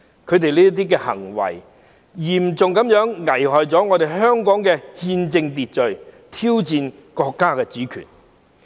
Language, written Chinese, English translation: Cantonese, 他們這些行為嚴重危害了香港的憲政秩序，挑戰國家主權。, Such acts have put the constitutional and political order of Hong Kong in serious jeopardy and challenged the sovereignty of the state